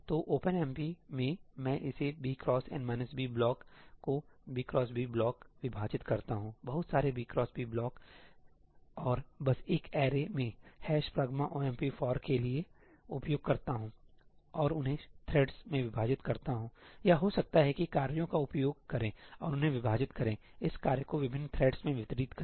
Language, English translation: Hindi, So, in OpenMP, I would divide this b cross n minus b block into b by b blocks, lots of b by b blocks and just in an array use a ‘hash pragma omp for’ and divide them to threads; or maybe use tasks and just divide them, distribute this work to different threads